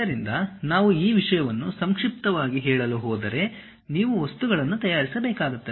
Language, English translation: Kannada, So, if we are going to summarize this thing, you prepare the objects